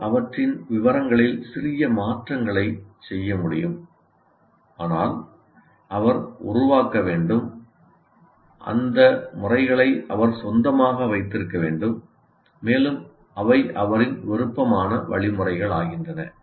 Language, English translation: Tamil, He can make minor modifications to the details, but he must create, he must own those methods and they become his preferred methods of instruction